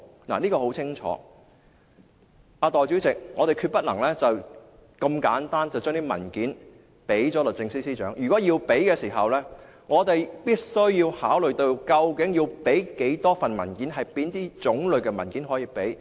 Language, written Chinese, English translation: Cantonese, 代理主席，我們決不能如此簡單便把文件交給律政司司長，如果要提交，我們必須要考慮究竟要提供多少份文件，以及哪種類的文件可以提供。, This point is very clear . Deputy President we definitely cannot hand over these documents so easily to the Secretary for Justice . If we are to provide those documents we must consider how many of the specified documents should be provided and the types of documents to be provided